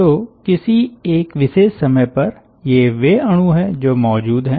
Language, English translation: Hindi, so these are the molecules which are present